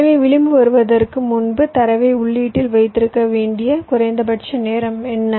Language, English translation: Tamil, so, before the edge comes, what is the minimum amount of time i must hold my data to the input